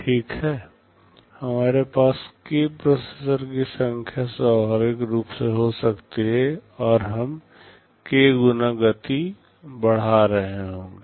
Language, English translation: Hindi, Well, we can have k number of processors naturally we will be getting k times speed up